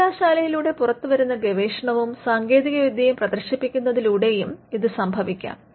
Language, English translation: Malayalam, Now, this could also happen by showcasing research and the technology that has come out of the university